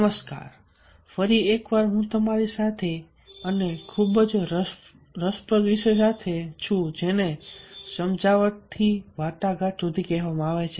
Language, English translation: Gujarati, so once again i am here with you and with the very interesting topic that is called from persuasion to negotiation